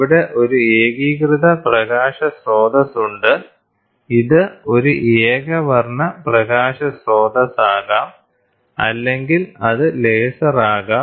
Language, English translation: Malayalam, So, here is a coherent light source, this can be a monochromatic light source, or it can even be a laser